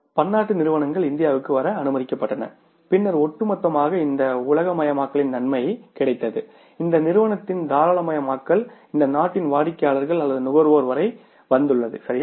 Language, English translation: Tamil, When the multinationals were allowed to come to India then the overall say the benefit of this globalization liberalization of this economy has reached up to the customers or the consumers of this company at this country right